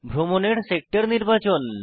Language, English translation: Bengali, To select the sector to travel